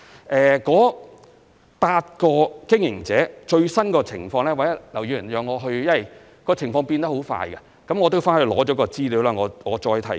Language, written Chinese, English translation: Cantonese, 至於該8個經營者的最新情況，因為情況變化很快，容我稍後索取資料後再提供。, Speaking of the latest status of those eight operators please allow me to provide further details after obtaining the relevant information due to fast - changing circumstances